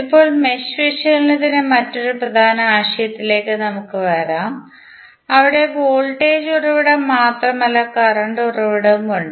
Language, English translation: Malayalam, Now, let us come to another important concept of mesh analysis where you have the source is not simply of voltage source here source is the current source